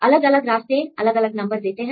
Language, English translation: Hindi, So, different pathways will give you different numbers